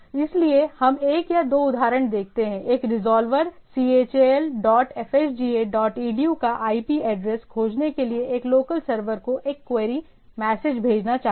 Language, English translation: Hindi, So, we let us see one or two examples, a resolver wants to wants a query message to a local server to find the IP address of the chal dot fhda dot edu